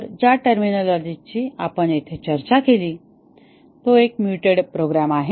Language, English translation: Marathi, So, the terminology that we discussed here one is a mutated program